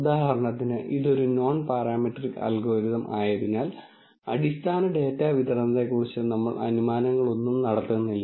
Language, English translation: Malayalam, Here for example, because this is a nonparametric algorithm, we really do not make any assumptions about the underlying data distribution